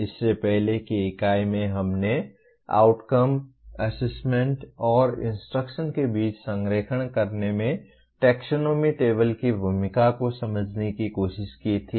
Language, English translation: Hindi, In the earlier unit we tried to understand the role of taxonomy table in attainment of alignment among Outcomes, Assessment, and Instruction